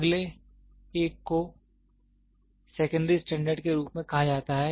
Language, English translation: Hindi, The next one is called as secondary standards